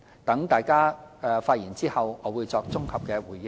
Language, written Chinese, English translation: Cantonese, 待大家發言後，我會作綜合回應。, I will give a consolidated response after Members have delivered their speeches